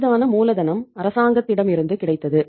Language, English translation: Tamil, Easy capital was available from the government